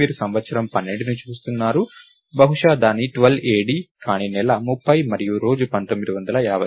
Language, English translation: Telugu, You are looking at year 12, maybe its 12 AD, but the month is 30 and the day is 1950